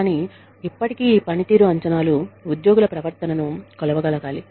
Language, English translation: Telugu, But still, these performance appraisals, need to be able to measure, the behavior of employees